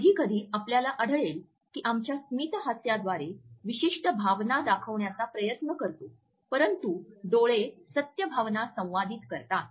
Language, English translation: Marathi, Sometimes you would find that we try to pass on a particular emotion through our smiles etcetera, but eyes communicate the truth of the emotions